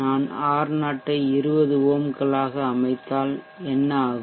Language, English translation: Tamil, 62, what happens if I set R0 to 20 ohms